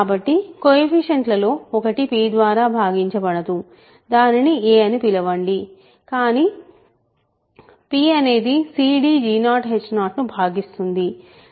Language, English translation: Telugu, So, one of the coefficients is not divisible by p so, call that a, but p divides c d g 0 h 0